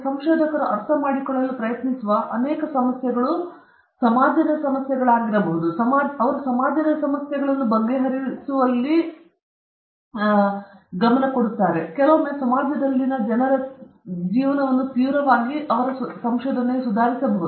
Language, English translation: Kannada, Many of these issues which a researcher tries to understand would be resolving an issue in the society, which would drastically improve, sometimes, the lives of people in the society